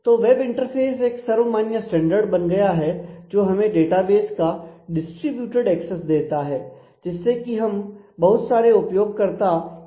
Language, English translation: Hindi, So, web interface has become the de facto standard which gives a very distributed access to the database enables large number of users to access together